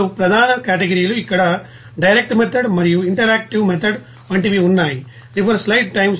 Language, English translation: Telugu, Two major categories are here like direct method and interactive method